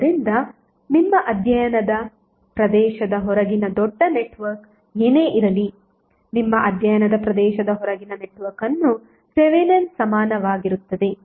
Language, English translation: Kannada, So whatever the larger network outside the area of your study is present you will simply equal that network which is outside the area of your study by Thevenin equivalent